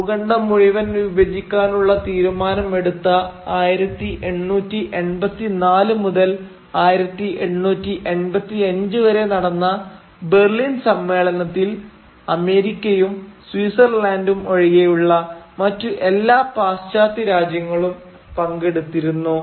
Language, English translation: Malayalam, Now the Berlin Conference of 1884 1885, in which this decision to parcel out this entire continent was taken, was attended by almost all the major western countries except America and Switzerland